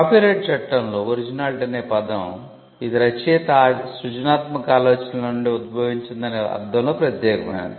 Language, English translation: Telugu, In copyright law originality refers to the fact that it is unique in the sense that it originated from the author